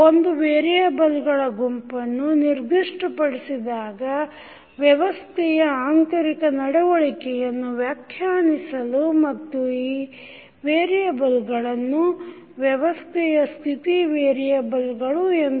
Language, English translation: Kannada, We specify a collection of variables that describe the internal behaviour of the system and these variables are known as state variables of the system